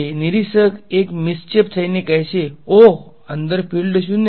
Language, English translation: Gujarati, Observer 1 being a mischief says oh field inside a 0